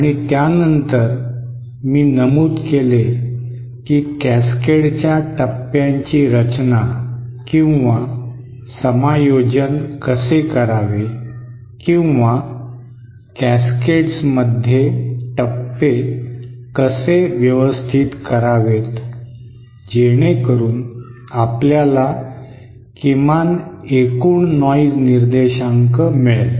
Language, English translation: Marathi, And then I mentioned how to how to adjust or how to arrange stages in cascades so that you get the lowest noise figure overall